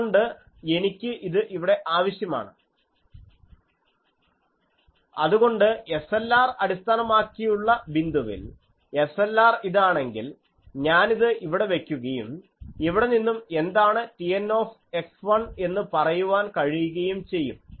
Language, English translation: Malayalam, So, at work point based on the SLR specification, so if SLR is this, then I will put it here and hence I can say what is T N x 1